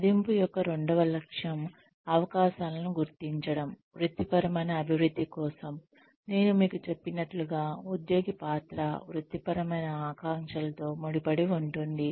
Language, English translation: Telugu, The second aim of appraisal, is to identify opportunities, for professional development, linked to the employee's role and career aspirations like I told you